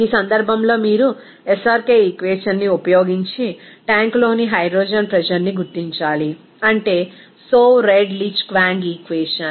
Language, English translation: Telugu, In this case, you have to determine the hydrogen pressure in a tank by using SRK equation, that is the Soave Redlich Kwong equation